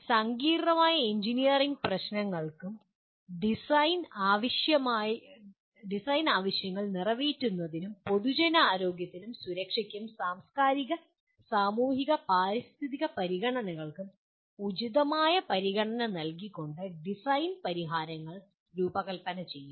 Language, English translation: Malayalam, Design solutions for complex engineering problems and design system components or processes that meet the specified needs with appropriate consideration for the public health and safety and the cultural, societal and environmental considerations